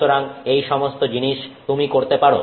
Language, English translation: Bengali, So, all these things you can do